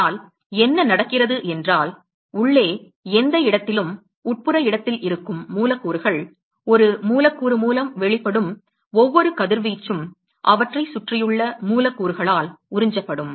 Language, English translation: Tamil, But, what happen is the molecules which are present at the interior location any where inside, every radiation that is emitted by one molecules is also going to be absorbed by the molecules which are surrounding them, right